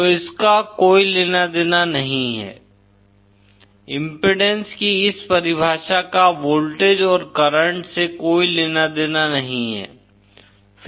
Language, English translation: Hindi, So this has nothing to do, this definition of impedance has nothing to do with voltages and currents